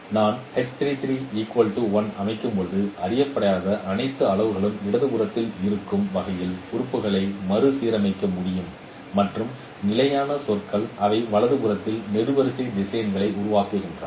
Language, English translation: Tamil, As I set H33 equal to 1, I can rearrange the elements in such a way that all the unknown parameters remain in the left hand side and the constant terms they form the column vector in the right hand side